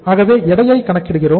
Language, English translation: Tamil, So we are calculating the weight